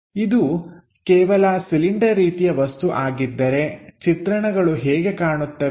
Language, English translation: Kannada, If it is only cylindrical kind of objects, how the view really looks like